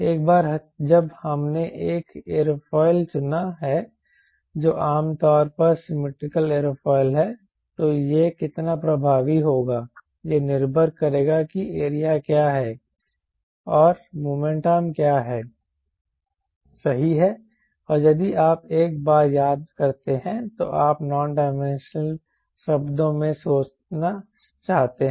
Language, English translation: Hindi, once we have chosen an aerofoil, which is which is generally symmetrical aerofoil, there how much effective will be will strongly depend upon what is the area and what is the moment arm right and if it is called, once you are do thing in terms, one dimensional term